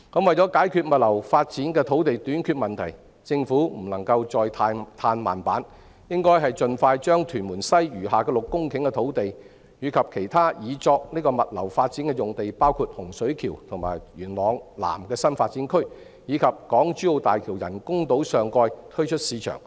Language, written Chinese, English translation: Cantonese, 為解決物流發展的土地短缺問題，政府不能再"嘆慢板"，應盡快把屯門西餘下的6公頃土地，以及其他擬作物流發展的用地，包括洪水橋和元朗南的新發展區，以及港珠澳大橋人工島上蓋推出市場。, To solve the shortage of land for logistics development the Government should waste no time and expeditiously put on the market for sale the remaining 6 hectares of land in Tuen Mun West and other land sites intended for logistics development including the New Development Areas in Hung Shui Kiu and Yuen Long South as well as the topside of the boundary crossing facilities island of HZMB